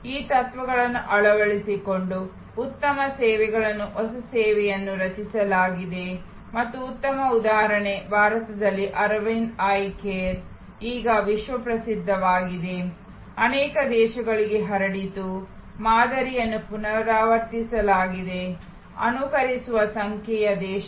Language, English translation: Kannada, Adopting these principles, great services new services have been created and excellent example is Aravind Eye Care in India, world famous now, spread to many countries, the model has been replicated, an emulated number of countries